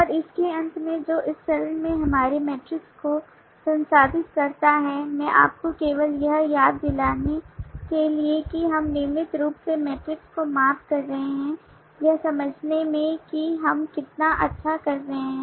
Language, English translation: Hindi, and at the end of that process our metrics at this stage just to remind you that we are regularly measuring the metrics in understanding how well we are doing